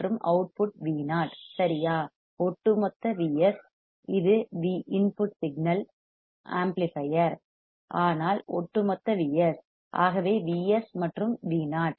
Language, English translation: Tamil, And the output is V o correct; overall is V s this is the input signal amplifier, but overall is V s, so V s and V o